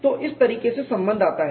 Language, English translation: Hindi, So, that is the way the relationship comes